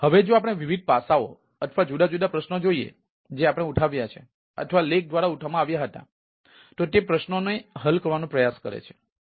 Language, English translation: Gujarati, now, if we look at the ah, is ah different aspects or the different queries which we ah, which we raised or where which the article raised, that try to address those and ah those queries